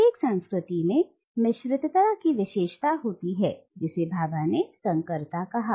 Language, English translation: Hindi, All culture is characterised by a mixedness which Bhabha refers to by the word hybridity